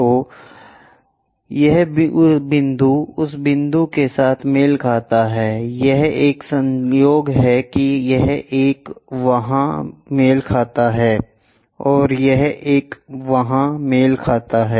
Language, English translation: Hindi, So, this point coincides with that point, this one coincides that this one coincides there, and this one coincides there